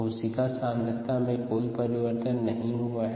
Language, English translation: Hindi, therefore, rate of change of cell concentration